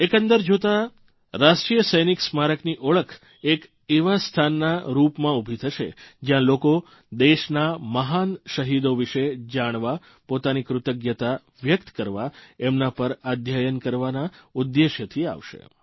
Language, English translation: Gujarati, If you take a holistic view, the National Soldiers' Memorial is sure to turn out to be a sacred site, where people will throng, to get information on our great martyrs, to express their gratitude, to conduct further research on them